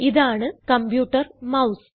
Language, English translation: Malayalam, This is the computer mouse